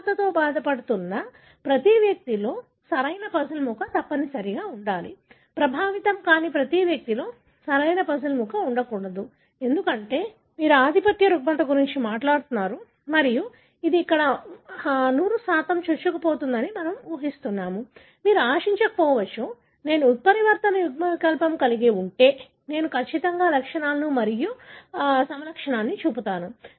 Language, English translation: Telugu, The correct puzzle piece must be present in every individual affected with the disorder, the correct puzzle piece must be absent in every unaffected individual, because you are talking about a dominant disorder and we are assuming here it is a 100% penetrant, you would expect that if I carry the mutant allele, I would definitely show the symptoms, the phenotype